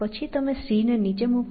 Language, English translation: Gujarati, Then, you put down c